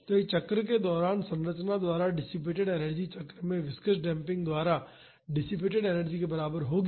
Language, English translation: Hindi, So, the energy dissipated by the structure during a cycle will be equal to the energy dissipated by the viscous damping in the cycle